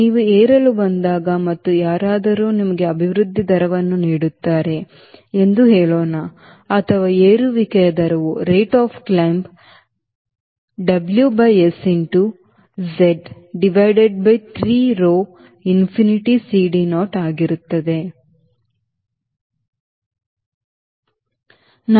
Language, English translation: Kannada, when you come to climb, and let us say somebody gives you an expression, rate of climb is equal to, or rate of climb maximum is equal to, w by s into z, divided by three, rho, infinity, c, d, naught